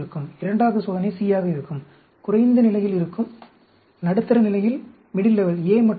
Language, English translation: Tamil, Second experiment will be C, will be at lower level; A and B in the middle level